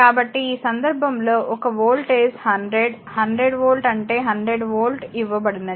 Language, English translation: Telugu, So, so, in this case a voltage is given your 100, 100 volt that is 100 volt